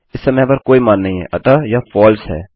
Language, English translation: Hindi, At the moment there is no value so it is false